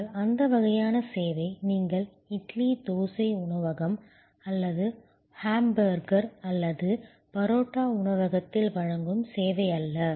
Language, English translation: Tamil, But, that sort of service is not the service which you would offer at an idly, dosa restaurant or a hamburger or parotta restaurant